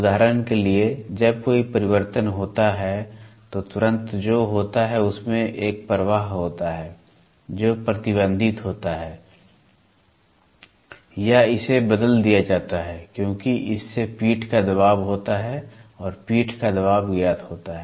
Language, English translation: Hindi, For example, when there is a diametrical change then immediately what happens is there is a flow which happens this flow is restricted or it is changed because of that there is a back pressure that back pressure is known